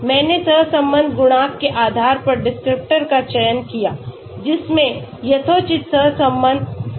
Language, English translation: Hindi, I selected the descriptors based on the correlation coefficient, which had reasonably good correlation